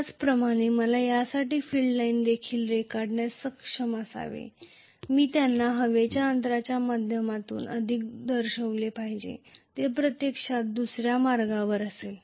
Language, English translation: Marathi, Similarly, I should be able to draw the field lines for this as well, I should show them more through the air gap which will actually be the other way round, Right